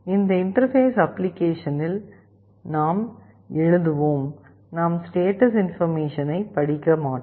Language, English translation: Tamil, In our interfacing application, we would only be writing, we would not be reading the status